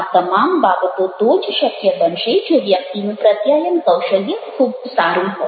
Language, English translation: Gujarati, all such things will be possible only if a person have a very good communication skill